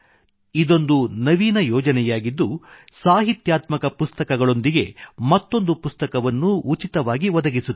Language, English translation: Kannada, This in an innovative project which provides literary books along with other books, free of cost